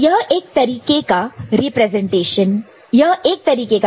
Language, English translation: Hindi, So, this is one way of representing it